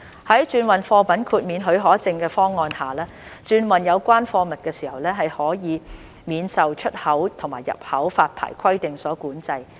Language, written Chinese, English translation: Cantonese, 在轉運貨物豁免許可證方案下，轉運有關貨物時可以免受出口及入口發牌規定所管制。, Under the transhipment cargo exemption scheme transhipment of the relevant goods can be exempted from the import and export licensing requirements